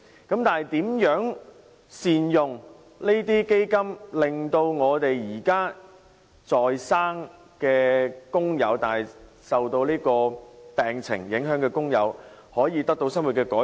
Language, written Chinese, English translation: Cantonese, 然而，如何善用這些基金，令現時在生但受到病情影響的工友可以得到生活的改善？, But how should the Fund be used properly to improve the livelihood of workers who are affected by their medical conditions?